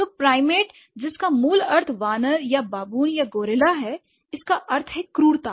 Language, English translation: Hindi, So, primate whose core meaning is ape or baboon or gorilla, the derived meaning has been Britishness